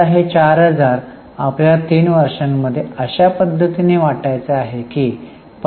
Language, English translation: Marathi, Now, this 4,000 is spread over 3 years in this manner